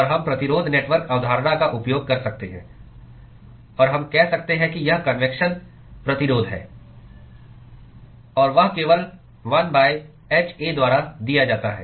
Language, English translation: Hindi, And we can use the resistance network concept; and we can say this is the convection resistance; and that is simply given by 1 by hA